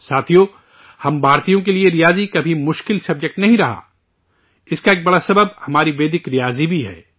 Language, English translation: Urdu, Friends, Mathematics has never been a difficult subject for us Indians, a big reason for this is our Vedic Mathematics